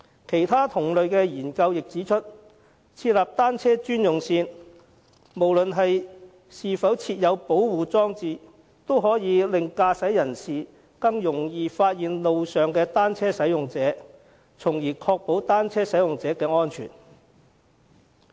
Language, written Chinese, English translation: Cantonese, 其他同類研究亦指出，設立單車專用線，無論是否設有保護裝置，也可以令駕駛人士更易發現路上的單車使用者，從而確保單車使用者的安全。, According to other similar studies the designation of bicycle - only lanes whether or not protection facilities are installed will make it easier for drivers to notice cyclists on the roads and thus ensure the safety of cyclists